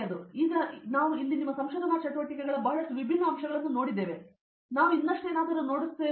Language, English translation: Kannada, So, may be now we have seen a lot different aspects of your research activities here, were we will look at something more